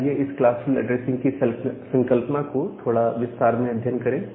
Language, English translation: Hindi, So, let us look into this classful addressing concept in little details